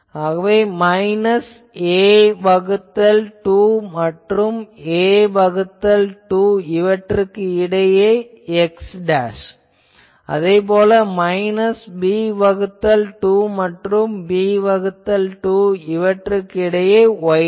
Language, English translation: Tamil, So, those all those things minus a by 2 less than x dashed minus a by 2 and minus b by 2 less than y dashed less than b by 2 with that 0 elsewhere